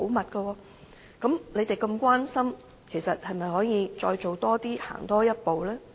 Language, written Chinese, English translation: Cantonese, 那麼，既然他們如此關心，是否可以再多做一些，行多一步呢？, As such since they are so concerned about inmates should they do more and move a few more steps?